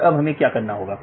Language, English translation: Hindi, So, how to do this